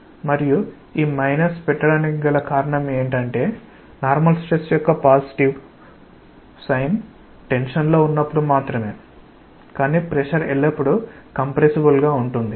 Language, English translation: Telugu, And the reason of putting minus is obvious the positive sign convention of normal stress is tensile in nature whereas, pressure by nature is always compressible